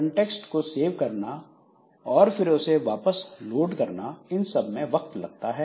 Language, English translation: Hindi, This saving the context and reloading the context